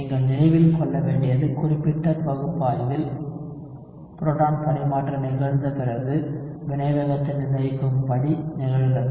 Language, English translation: Tamil, What you need to remember is in specific analysis proton transfer occurs before the rate determining step